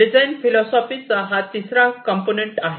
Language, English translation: Marathi, This is what is the third component of the design philosophy